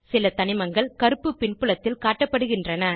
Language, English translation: Tamil, Some elements are shown in black background